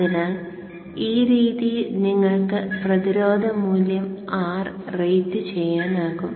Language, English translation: Malayalam, So this way you can rate the resistance value R